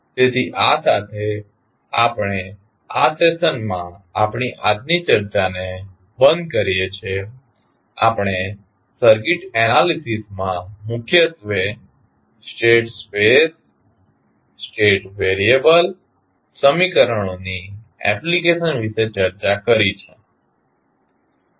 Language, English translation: Gujarati, So, with this we can close our today’s discussion in this session we discussed mainly about the application of state variable equations in the circuit analysis